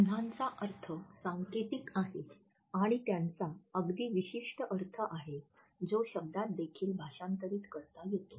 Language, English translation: Marathi, Emblems have codified meaning and they have very specific meaning which is also translatable into literal words